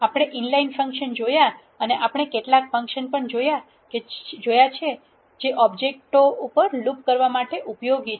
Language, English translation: Gujarati, We have seen inline functions and we have also seen some functions that are useful to loop over the objects